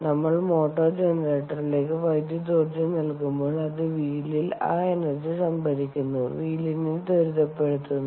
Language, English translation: Malayalam, when we put electrical energy into the motor generator, it accelerates the wheel, storing that energy as momentum on the wheel